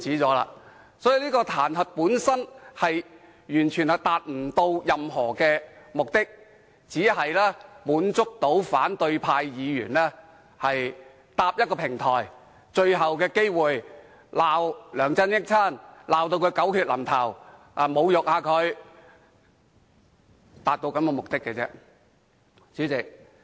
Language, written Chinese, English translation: Cantonese, 所以，這項彈劾本身完全達不到任何有用的目的，只是讓反對派議員有最後機會搭建一個平台斥責梁振英，把他罵得狗血淋頭，對他侮辱一番。, So the impeachment does not have any meaningful purpose and it just gives opposition Members the last chance to set up a platform to denounce LEUNG Chun - ying curse him viciously and insult him